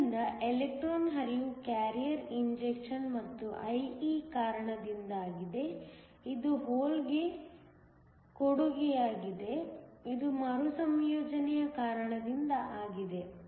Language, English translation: Kannada, So, the electron flow is due to the carrier injection plus IE which is the contribution to the hole which is because of recombination